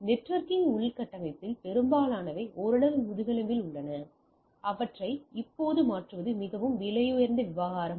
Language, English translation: Tamil, So, I that most of your networking infrastructure are somewhat it is in the backbone and changing them now and then is very costly affair right